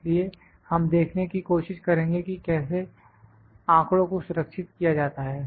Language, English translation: Hindi, So, we will try to see how the data is stored